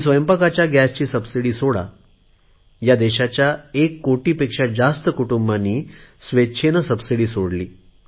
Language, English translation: Marathi, When I asked the people to give up their cooking gas subsidy, more than 1 crore families of this country voluntarily gave up their subsidy